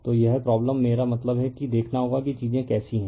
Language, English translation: Hindi, So, this problem, I mean you have to see how things are right